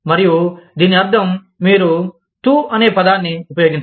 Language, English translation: Telugu, And, this means that, you do not use the word, TU